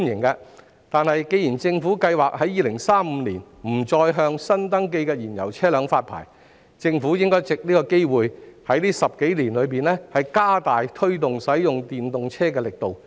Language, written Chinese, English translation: Cantonese, 不過，既然政府計劃在2035年不再向新登記燃油車輛發牌，政府便應藉此機會在這10多年間加大力度推動使用電動車。, However since the Government plans to cease the new registration of fuel - propelled private cars in 2035 it should take this opportunity to step up its effort in promoting the use of EVs in these 10 - odd years